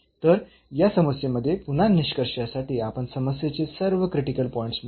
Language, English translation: Marathi, So, in this problem again to conclude that we have computed all the critical points of the problem